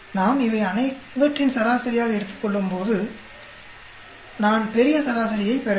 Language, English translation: Tamil, And when we take an average of all these I should be getting the grand average